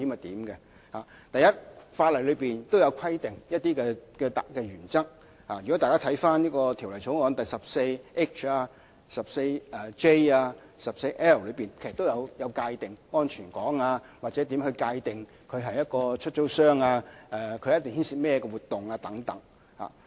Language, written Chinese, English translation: Cantonese, 第一，法例上有一些特定原則，條例草案第 14H 條、第 14J 條和第 14L 條等，它們均有界定安全港，或界定合資格飛機出租商須參與甚麼活動等。, First the laws have maintained some specific principles . Proposed new sections such as 14H 14J and 14L have provided for the safe harbour rule or defined the activities that qualified aircraft lessors must take part in and so on